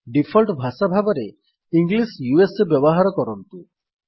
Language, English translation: Odia, Use English as your default language